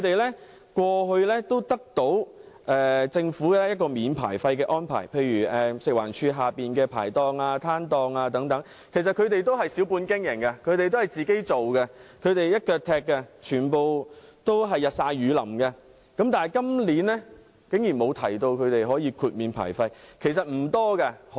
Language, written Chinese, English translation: Cantonese, 他們過去獲政府豁免牌費，例如食物環境衞生署轄下的牌檔和攤檔等，都是小本經營，自己一手包辦，日曬雨淋地工作，但今年竟然沒有豁免他們的牌費。, Their licensing fees were waived in the past . For example the food and market stalls under the Food and Environmental Hygiene Department are all operated by small traders . The operators run their businesses by themselves working day in and day out yet their licensing fees are not waived this year